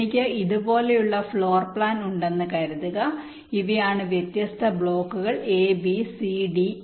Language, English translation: Malayalam, suppose i have floor plan like this, and these are the different blocks: a, b, c, d and e